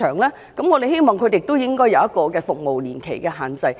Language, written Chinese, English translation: Cantonese, 故此，我們希望訂出一定的服務年期的限制。, For that reason we hope that a certain period of service should be stated